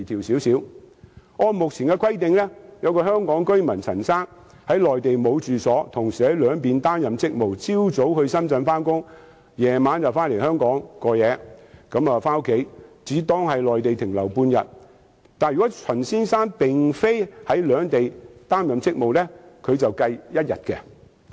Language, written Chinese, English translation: Cantonese, 舉例而言，按目前的規定，香港居民陳先生在內地沒有住所，同時在兩地擔任職務，早上到深圳上班，晚上回到香港居住，只當他在內地停留半天；但是，如果陳先生並非在兩地擔任職務，則算作停留一天。, For example under the existing requirements if Mr CHAN a Hong Kong resident without any Mainland domicile who performs his job duties in both places goes to Shenzhen to work in the morning and returns to his Hong Kong residence in the evening then his length of stay on the Mainland is merely counted as half day . But if Mr CHANs job duties do not involve both places his length of stay will be counted as one day